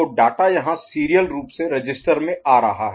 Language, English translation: Hindi, So, data is coming to the register serially ok